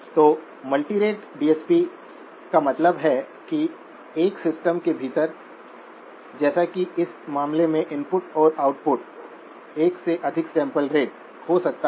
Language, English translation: Hindi, So multirate DSP means that within a system, as in this case input and output, there could be more than one sampling rate